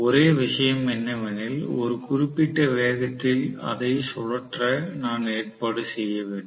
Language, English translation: Tamil, Only thing is I have to arrange to physically rotate it at a particular speed